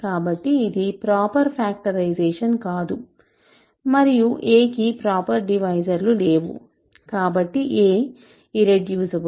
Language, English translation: Telugu, So, this is not a proper factorization, and a has no proper divisors, hence a has no proper divisors, so a is irreducible